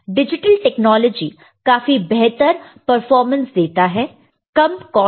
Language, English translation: Hindi, The digital technology provides better performance at the lower cost